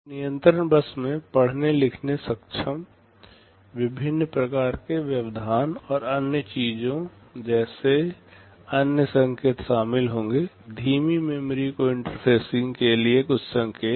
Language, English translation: Hindi, And the control bus will contain other signals like read, write, enable, different kinds of interrupts and other things, some signals for interfacing slow memories